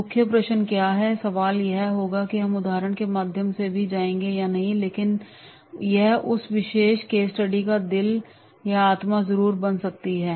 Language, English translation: Hindi, That what is the key question is there and the key question will be that we will go through the example also but that will be the heart or soul of that particular case study